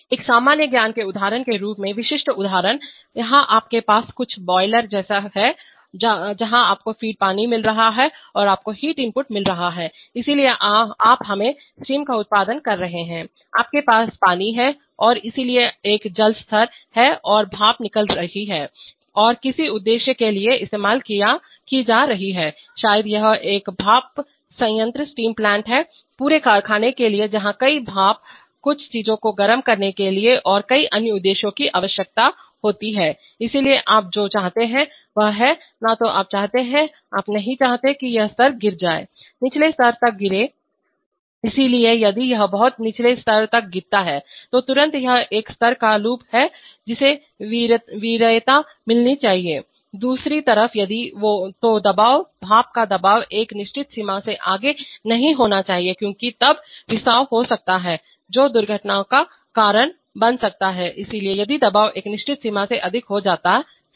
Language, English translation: Hindi, So typical example as a common sense example, here you have some something like a boiler where you we are getting feed water and you are having heat input, so you are producing let us say steam, so what happens is that you are, you are producing steam, you have water and so there is a water level and steam is going out and being used for some purpose maybe for, maybe it is a is the steam plant, for the, for another for the whole factory where several, steam is required for several other purposes for heating up certain things, so what you want is that, you want neither the, you do not want the this level to fall to, Fall to lower levels, so if it falls to very low levels then immediately the it is a level loop which should get preference, on the other hand if this, if the, if this, if the pressure, the pressure of the steam should not go beyond a certain limit because then that may cause leaks that may cause accidents, so if the pressure goes up to a over a certain limit